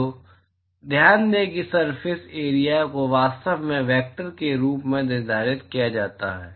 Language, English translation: Hindi, So, note that surface area can actually be quantified as vector